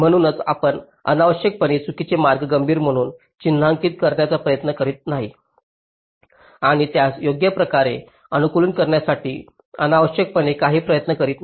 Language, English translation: Marathi, so you do not unnecessarily try to mark the wrong paths as critical and just unnecessarily put some effort in optimizing them right